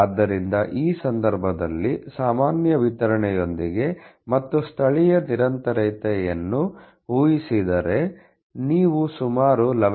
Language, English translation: Kannada, So, in this case with the normal distribution and assuming a local continuity, if fairly close you are getting about 11